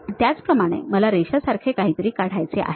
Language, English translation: Marathi, Now, similarly I would like to draw something like a Line